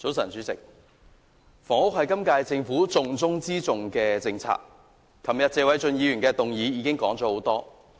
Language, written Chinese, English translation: Cantonese, 早晨，主席，房屋是今屆政府"重中之重"的政策，昨天議員已就謝偉俊議員的議案說了很多。, Good morning President housing policy is the top priority of the current - term Government and Members have already spoken a lot during the debate on Mr Paul TSEs motion yesterday